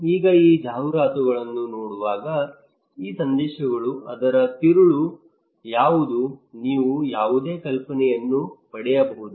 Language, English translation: Kannada, Now looking at these advertisements, these messages what is the core of that one what the core idea you can get any idea